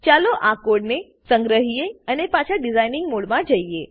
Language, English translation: Gujarati, Now Save the code and go back to design mode